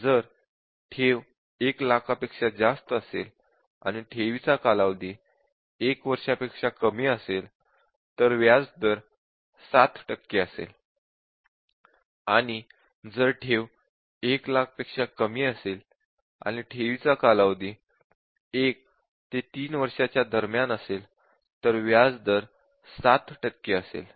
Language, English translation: Marathi, And if the deposit is more than 1 lakh then the rate of interest is 7 percent, 8 percent, 9 percent depending on whether it is less than 1 year, between 1 to 3 year, or 3 years and above